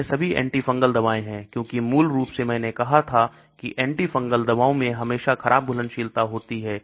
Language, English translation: Hindi, These are all antifungal drugs as originally I said antifungal drugs always have poor solubility